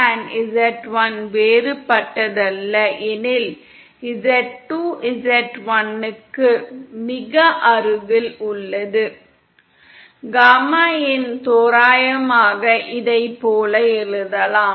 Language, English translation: Tamil, If suppose z2 & z1 are not that difference, z2 is very close to z1… Then gamma in can approximately be written as, like this